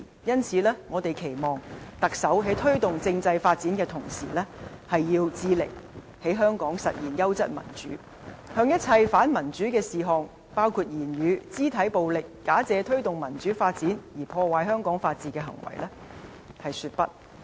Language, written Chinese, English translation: Cantonese, 因此，我們期望特首在推動政制發展的同時，致力在香港實現優質民主，向一切反民主的事項，包括言語、肢體暴力、假借推動民主發展而破壞香港法治的行為說不。, Therefore we hope the next Chief Executive can in the course of promoting constitutional development endeavour to realize quality democracy in Hong Kong and say no to all undemocratic behaviour including verbal and physical violence and behaviour jeopardizing rule of law in Hong Kong under the pretence of promoting democratic development